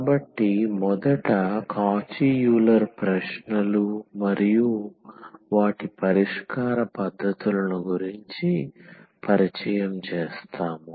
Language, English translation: Telugu, So, we will first introduce what are the Cauchy Euler questions and then their solution techniques